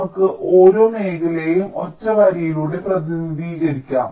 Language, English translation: Malayalam, we can simply represent each of the regions by a single line